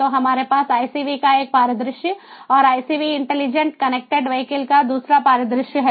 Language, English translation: Hindi, so we have one scenario of icv and the other scenario of icv intelligent connected vehicles